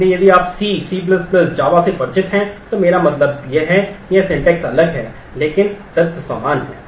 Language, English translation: Hindi, So, if you are familiar with C, C++, Java you I mean it is just that the syntax is different, but the elements are same